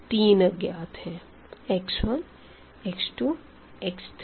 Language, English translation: Hindi, Three unknowns x 1, x 2, x 3